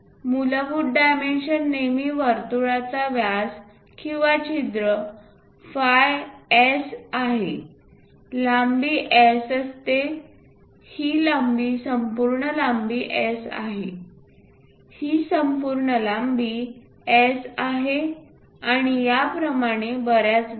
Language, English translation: Marathi, The basic dimensions are always be the diameter of that circle or hole is phi S, the length is S, this length complete length is S, this complete length is S and so on, so things